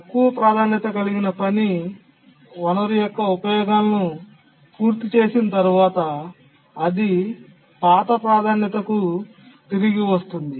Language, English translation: Telugu, But then once the low priority task completes its users of the resource, it gets back to its older priority